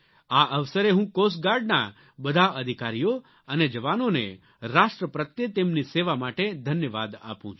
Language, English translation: Gujarati, On this occasion I extend my heartfelt gratitude to all the officers and jawans of Coast Guard for their service to the Nation